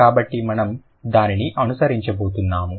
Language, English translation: Telugu, So, we are going to follow it